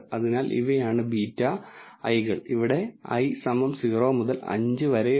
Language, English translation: Malayalam, So, these are the beta i’s hat, where i is equal to 0 to 5